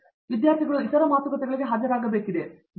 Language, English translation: Kannada, And, I would also say that the students have to attend other talks, right